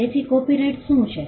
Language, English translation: Gujarati, So, what is a copyright